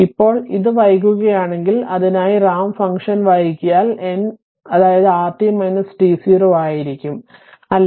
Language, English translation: Malayalam, Now if it is delayed, if for that if that if it is delayed ramp function then it will be r t minus t 0, right